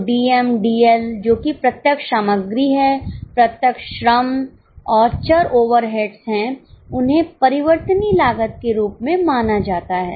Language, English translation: Hindi, So, DM, DL, that is direct material, direct labor and variable overheads are considered as variable costs